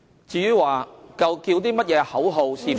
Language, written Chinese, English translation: Cantonese, 至於呼叫某些口號是否......, As to whether the chanting of a certain slogan will